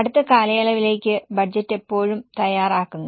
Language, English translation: Malayalam, Budget is always prepared for the next period